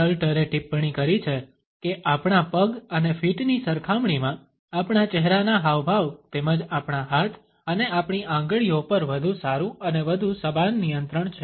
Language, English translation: Gujarati, Stalter has commented that in comparison to our legs and feet, our facial expressions as well as our hands and even our fingers have a better and more conscious control